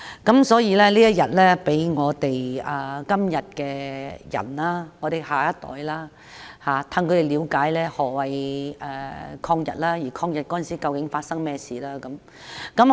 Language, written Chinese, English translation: Cantonese, 因此，在這天放假，可以讓現代人、年輕一代了解何謂抗日，以及當時究竟發生了甚麼事。, Having a holiday on the Victory Day can hence allow young people nowadays to learn about the history of the war against Japanese aggression and what happened at that time